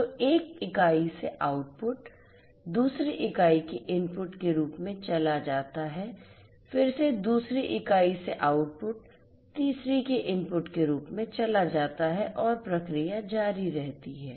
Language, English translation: Hindi, So, output from one unit goes as input to another unit, again the output from the second unit goes as input to the third and the process continues